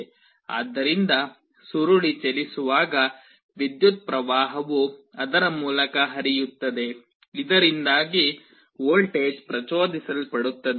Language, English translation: Kannada, So, as the coil moves an electric current will be flowing through it, because of which a voltage will get induced